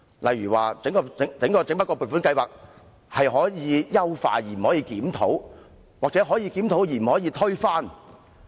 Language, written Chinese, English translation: Cantonese, 例如，整筆撥款津助制度可以優化，但不可以檢討；或是說可以檢討，但不可以推翻。, For example LSGSS can be enhanced but it cannot be reviewed; or it can be reviewed but it cannot be overthrown